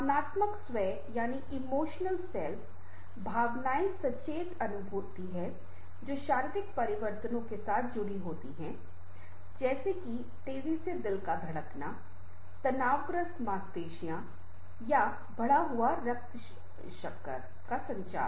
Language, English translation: Hindi, emotion are conscious feelings that are accompanied by physiological changes, such as a rapid heartbeat, tensed muscles or raised blood sugar level